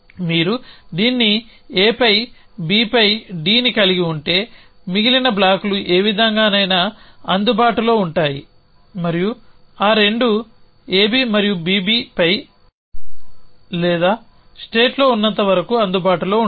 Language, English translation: Telugu, If you just have this a on b on d then the rest of blocks will be available in any way and as long as those 2 predicates on A B and on B B or there in the state